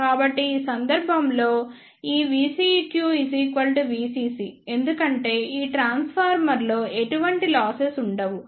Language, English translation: Telugu, So, in this case this V CQ will be equal to V CC because there will not be any losses in this transformer